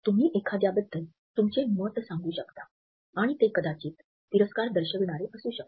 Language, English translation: Marathi, You could ask your opinion about someone and they might show disgust